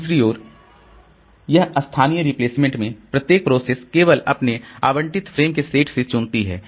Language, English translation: Hindi, On the other hand, this local replacement each process selects from only its own set of allocated frames